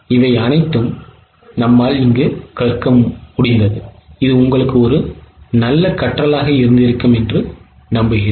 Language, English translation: Tamil, I hope this would have been a good learning to you